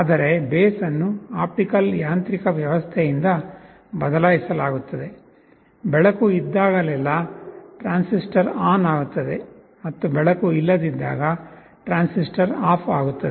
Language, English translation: Kannada, But the base is replaced by an optical mechanism, whenever there is a light the transistor turns on, and when there is no light, the transistor is off